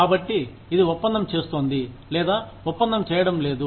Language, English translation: Telugu, So, this is doing the deal, or not doing the deal